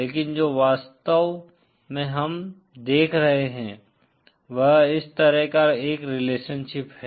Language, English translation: Hindi, But what we are actually observing is a relationship like this